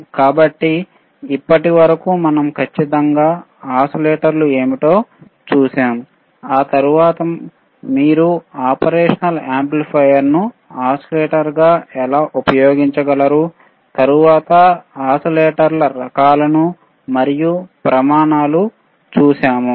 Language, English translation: Telugu, So, until now we have seen what exactly oscillators isare, then we have seen how you can use operational amplifier as an oscillator, then we have seen kinds of oscillators and the criteria right